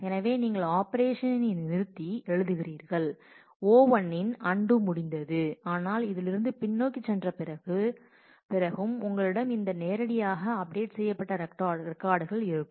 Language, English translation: Tamil, So, you write operation abort and O 1 undo of O 1 gets completed, but you still have after going backwards in this, you still have this record which was directly updated